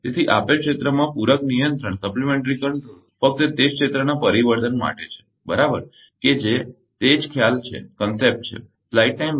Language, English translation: Gujarati, So, supplementary control in a given area should ideally correct only for changes in that area right that is the that is the concept